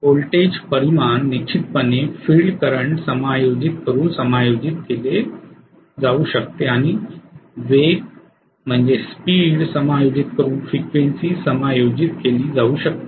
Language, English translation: Marathi, The voltage magnitude definitely can be adjusted by adjusting the field current and frequency can be adjusted by adjusting the speed